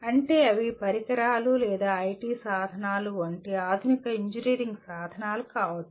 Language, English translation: Telugu, That means they can be modern engineering tools like equipment or IT tools